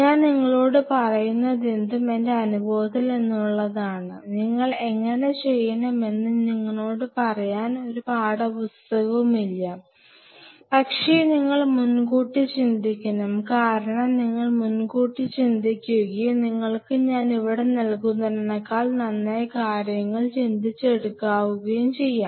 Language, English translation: Malayalam, So, whatever I am telling you is from share from my experience there is no textbook which is going to tell you all these things that how you should, but you have to think in advance because if you think in advance and put you sure you can think far better than what I am putting out here for you ok